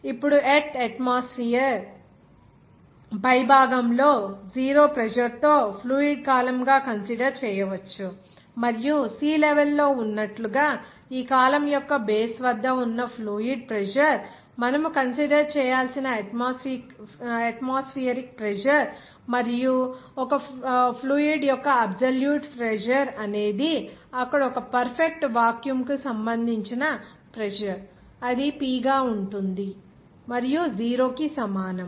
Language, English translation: Telugu, Now, the earth atmosphere can be considered as a column of fluid with 0 pressure at the top and the fluid pressure at the base of this column like at sea level is the atmospheric pressure that you have to consider and the absolute pressure of a f